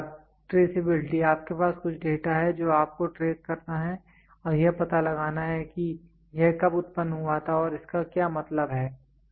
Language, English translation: Hindi, Then traceability, you have got some data you have to trace it and find out when was it generated and what it mean